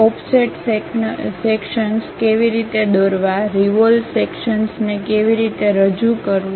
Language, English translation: Gujarati, How to draw offset sections, how to represent revolve sections